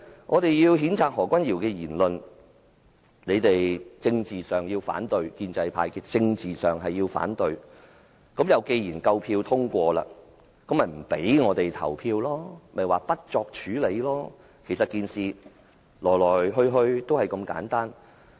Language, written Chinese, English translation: Cantonese, 我們要譴責何君堯議員的言論，建制派在政治上要反對，而既然你們有足夠票數可通過議案，不讓我們投票，於是便提出不作處理的議案，整件事情其實就是如此簡單。, We wanted to condemn the remark by Dr Junius HO but the pro - establishment camp wanted to oppose on political grounds . Since you have adequate votes in hand to pass the motion and stop us from voting so the motion of no further action be taken was moved the whole thing is all that simple